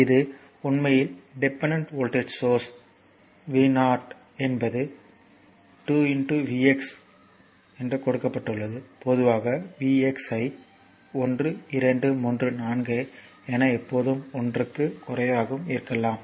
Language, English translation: Tamil, This is this is actually your dependent voltage source v 0 is given 2 into v x is general you can take a into v x right a maybe 1 2 3 4 what is ever and below less than 1 also